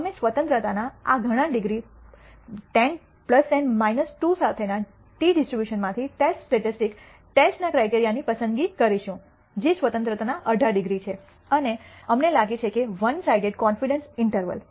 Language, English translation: Gujarati, We will choose the test statistic test criteria from the t distribution with this many degrees of freedom 10 plus 10 minus 2 which is 18 degrees of freedom and we nd that the one sided con dence interval